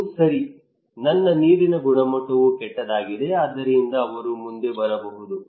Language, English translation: Kannada, That okay, my water quality is also bad so he may come forward